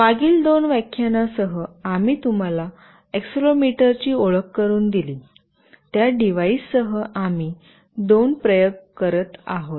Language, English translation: Marathi, Along with that in previous two lectures, we have introduced you to accelerometer; with that device also we will be doing a couple of experiment